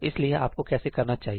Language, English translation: Hindi, So, how do I do that